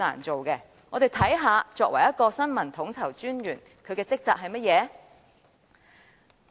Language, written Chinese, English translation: Cantonese, 且讓我們看看新聞統籌專員的職責是甚麼。, Let us now take a look at the duties and responsibilities of the Information Coordinator